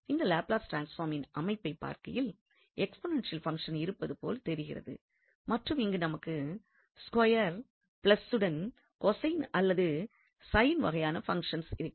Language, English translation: Tamil, So looking at the structure here of this Laplace transform it seems that here we can have some kind of the exponential functions and then here we have this square plus something so cosine or sine type of functions